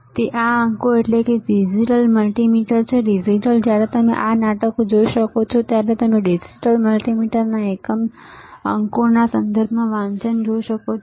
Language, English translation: Gujarati, So, these digits that is why it is a digital multimeter, digital right; when you can see this play you can see the readings right in terms of digits digital multimeter